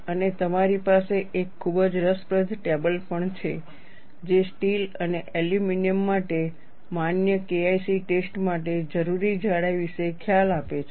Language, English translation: Gujarati, And you also have a very interesting table, which gives an idea about the thicknesses required for valid K 1 C tests for steel and aluminum